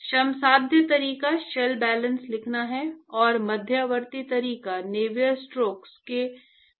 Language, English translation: Hindi, Of course the laborious way is to write the shell balances, and the intermediate way is to start from Navier stokes